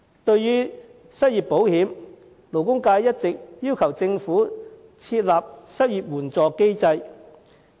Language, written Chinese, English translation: Cantonese, 對於失業保險，勞工界一直要求政府設立失業援助機制。, As regards unemployment insurance the labour sector has all along been demanding the Government to establish an unemployment assistance mechanism